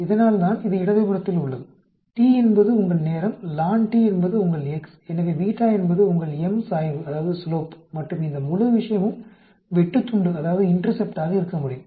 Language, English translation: Tamil, This is why, it is on the left hand side t is your time, lon t is your x so beta is your m slope and this whole thing could be the intercept